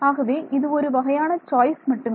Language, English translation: Tamil, So, this is just one choice ok